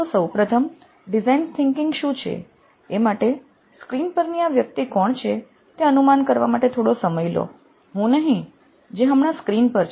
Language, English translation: Gujarati, First of all what is design thinking, so just take a minute to guess who this person on the screen is, not me